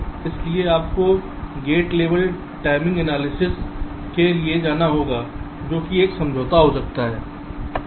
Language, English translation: Hindi, so you may have to go for gate level timing analysis, which is ah compromise